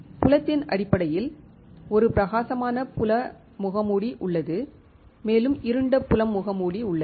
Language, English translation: Tamil, Based on the field there is a bright field mask, and there is a dark field mask